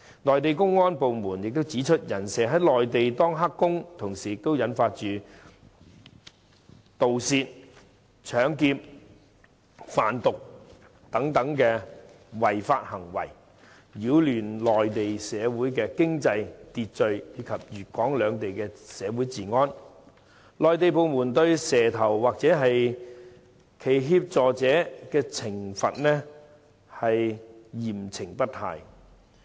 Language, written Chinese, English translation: Cantonese, 內地公安部門亦指出，"人蛇"在內地當"黑工"，同時也引發盜竊、搶劫、販毒等違法行為，擾亂內地社會經濟秩序及粵港兩地社會治安，內地部門對"蛇頭"或其協助者嚴懲不貸。, Mainland security authorities also point out the fact that illegal entrants engaging in illegal work have also committed in crimes such as burglary robbery drug trafficking and so on . They have disrupted economic order on the Mainland as well as the social order in Guangdong and Hong Kong